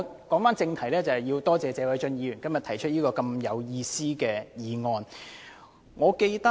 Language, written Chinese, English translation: Cantonese, 返回正題，我要多謝謝偉俊議員今天提出這項有意思的議案。, Let me return to the topic of this debate . I would like to thank Mr Paul TSE for moving such a meaningful motion today